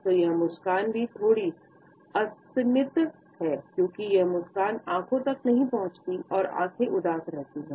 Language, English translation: Hindi, So, this smile is also slightly asymmetric one, because the smile does not reach the eyes, the eyes remain sad